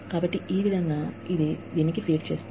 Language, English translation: Telugu, So, this is how, this feeds into this